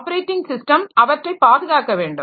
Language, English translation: Tamil, Then the operating system is structured